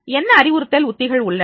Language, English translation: Tamil, That what are the instructional strategies are there